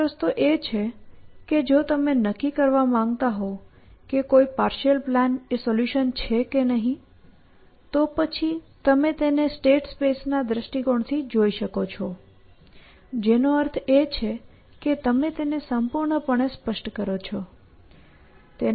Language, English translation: Gujarati, One way to say it is that, okay, if you want to decide whether a partial plan is a solution, then you could at look at it from the state space perspective, which means you completely specify it